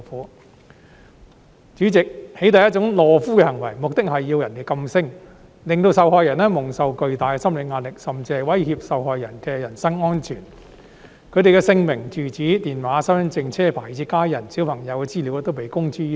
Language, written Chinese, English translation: Cantonese, 代理主席，"起底"是一種懦夫行為，目的是要人噤聲，令受害人蒙受巨大的心理壓力，甚至威脅受害人的人身安全；他們的姓名、住址、電話、身份證、車牌，以至家人和小朋友的資料都被公諸於世。, Deputy President doxxing is a cowardly act aimed at silencing the victims putting them under immense psychological pressure and even threatening their personal safety . Information about their names residential addresses telephone numbers identity cards vehicle licence numbers and even family members and children will be fully made public . Once a persons privacy information is made public they will be pilloried and intimidated by lawless netizens and even have their information stolen to borrow money